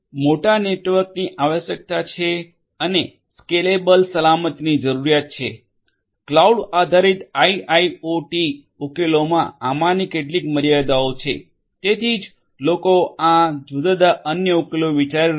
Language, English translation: Gujarati, There is a requirement for the big network and need for scalable security, these are some of these limitations in cloud based IIoT solutions, that is why there are these different other solutions people are thinking of